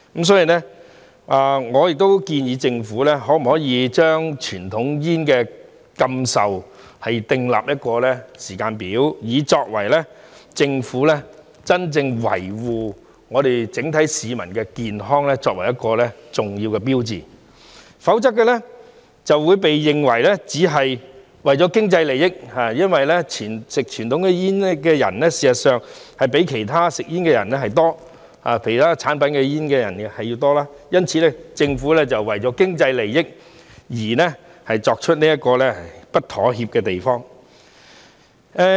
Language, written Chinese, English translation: Cantonese, 所以，我建議政府可否就禁售傳統煙訂立時間表，作為政府真正維護整體市民健康的重要標誌，否則便會被認為只是為了經濟利益，因為吸食傳統煙的人事實上比吸食其他煙類產品的人多，因此政府為了經濟利益而不會在這方面作出妥協。, In view of this I suggest that the Government may draw up a timetable for banning the sale of conventional cigarettes which will serve as an important sign that the Government is indeed safeguarding the health of the public as a whole . Otherwise it would be seen as acting merely for economic benefits because actually more people consume conventional cigarettes than other tobacco products so the Government will not compromise on this issue for the sake of economic benefits